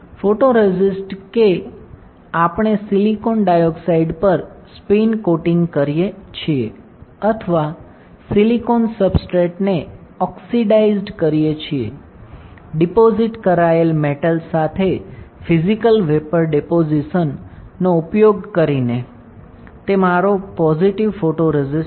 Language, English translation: Gujarati, The photoresist that we are spin coating on the silicon dioxide or oxidize silicon substrate with metal deposited using physical vapour deposition is my positive photoresist